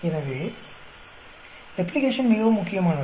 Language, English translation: Tamil, So, Replication becomes very very important